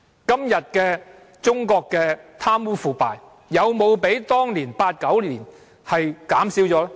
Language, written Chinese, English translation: Cantonese, 今天中國的貪污腐敗，有沒有比1989年減少？, Has corruption in China become less serious as compared to 1989?